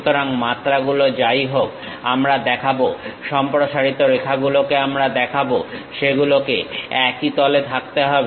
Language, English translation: Bengali, So, whatever the dimensions we will show, extension lines we will show; they should be in the same plane